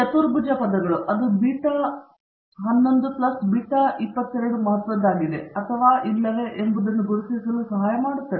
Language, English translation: Kannada, The quadratic terms, it helps to identify whether that beta 11 plus beta 22 is significant or not